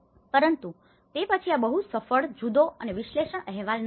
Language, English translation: Gujarati, But then this was not very successful, different and analysis report